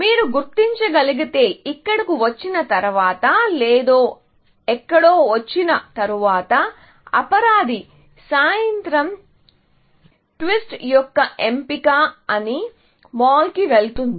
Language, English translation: Telugu, If you can identify, after coming here, or after coming somewhere that the culprit is the choice of evening twist, went in the mall